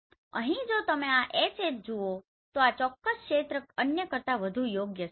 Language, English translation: Gujarati, So here if you see this HH this particular area is actually better than others right